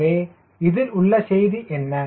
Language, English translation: Tamil, so what is the message